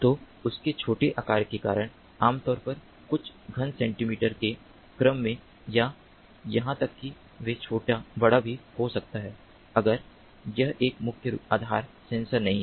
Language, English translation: Hindi, so, due to their small size, typically in the order of few cubic centimeters, or even they can be little bigger, also if it is not a mains based sensor